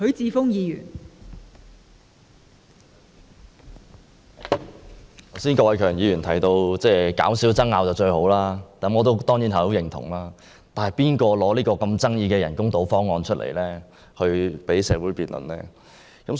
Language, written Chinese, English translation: Cantonese, 郭偉强議員剛才提到減少爭拗是最好的，我當然很認同，但提出這個富爭議性的人工島方案讓社會辯論的人是誰？, Mr KWOK Wai - keung said just now that it was good to have less disputes and I certainly agree . But who proposes such a highly controversial proposal on artificial islands thereby arousing great disputes among the public?